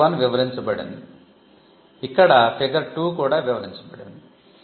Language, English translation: Telugu, explained, here figure 2 is explained here